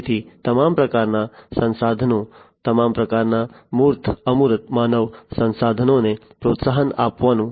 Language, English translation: Gujarati, So, boosting up all kinds of resources, all kinds of you know tangible, non tangible human resources, and so on